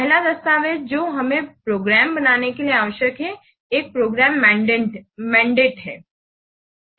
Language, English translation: Hindi, The first document that we require to create a program is program mandate